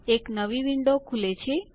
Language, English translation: Gujarati, A new window pops up